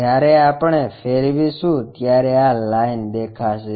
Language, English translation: Gujarati, When we rotate this line will be visible